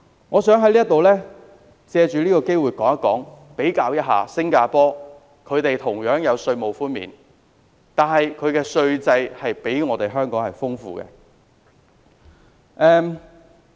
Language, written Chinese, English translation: Cantonese, 我想藉此機會指出，新加坡同樣有稅務寬免，但其稅制比香港更多樣化。, I take this opportunity to point out that Singapore likewise offers tax concessions but its tax regime is more diversified than that of Hong Kong